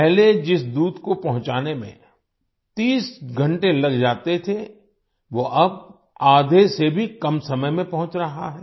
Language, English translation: Hindi, Earlier the milk which used to take 30 hours to reach is now reaching in less than half the time